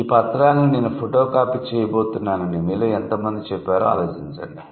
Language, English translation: Telugu, So, tell me how many of you actually kind of say that I am going to photocopy my document